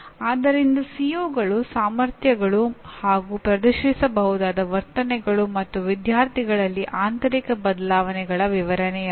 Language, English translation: Kannada, So COs are competencies and the behaviors that can be demonstrated; not descriptions of internal changes in the students